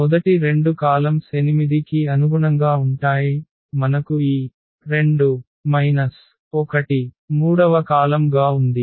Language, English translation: Telugu, First two columns and the corresponding to 8; we have this 2 minus 1 as a third column